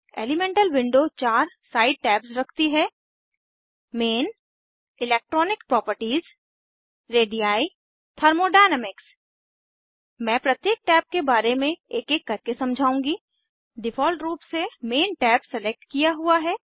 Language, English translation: Hindi, Elemental Window contains four side tabs * Main, * Electronic Properties, * Radii * Thermodynamics I will explain about each tab one by one By default Main tab is selected